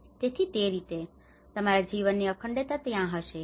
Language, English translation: Gujarati, So in that way, your continuity of your life will be there